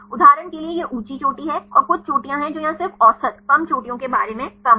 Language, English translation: Hindi, For example, this is high peak and some peaks which are here just the low just about the average, low peaks